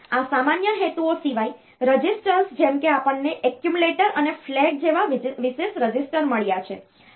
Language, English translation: Gujarati, Now apart from these general purpose registers like we have got special registers like accumulator and flag